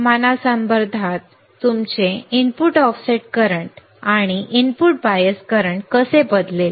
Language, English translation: Marathi, With respect to the temperature how your input offset current and input bias current would change